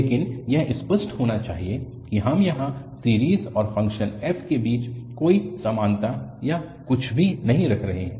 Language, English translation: Hindi, But, it should be clear that we are not putting here any equality or anything between the series and the function f